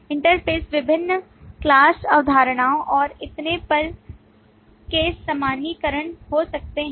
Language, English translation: Hindi, Interfaces could be generalizations of various different class concepts and so on